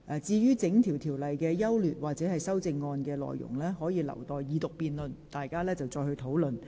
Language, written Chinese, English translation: Cantonese, 至於《條例草案》的整體優劣或修正案內容，則應留待二讀辯論時再作討論。, As regards the general merits or amendment details of the Bill they should be discussed later during the Second Reading debate